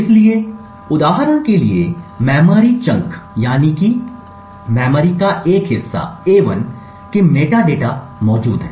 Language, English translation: Hindi, So, for example for the chunk of memory a1 the metadata is present